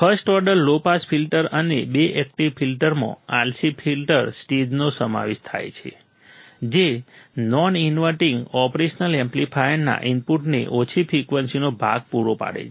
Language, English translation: Gujarati, The first order low pass filter and the two active filter consist of RC filter stage providing a low frequency part to the input of a non inverting operation amplifier